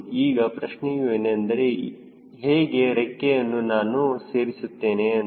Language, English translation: Kannada, now the question is: how do i put the wings